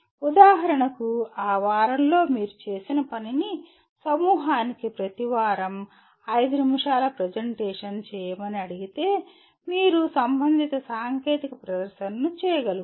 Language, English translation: Telugu, For example if you are asked to make a 5 minute presentation every week to the group what exactly that you have done during that week, you should be able to make the corresponding technical presentation